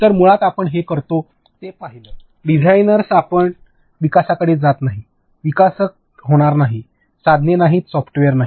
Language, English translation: Marathi, So, basically what we do is first design, we do not go to development, it is not going to get developed; no tools, no software nothing